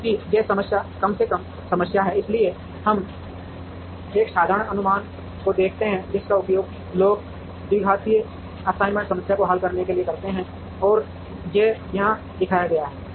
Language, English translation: Hindi, Because, this problem is a minimization problem, so we look at one simple heuristic which people have been using to solve the quadratic assignment problem, and that is shown here